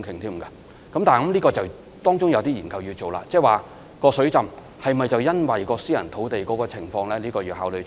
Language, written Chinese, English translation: Cantonese, 但是，當中必須進行一些研究，例如水浸是否因為私人土地的情況所引致呢？, Having said that it is necessary to conduct studies on say whether the flooding was caused by the situation on private land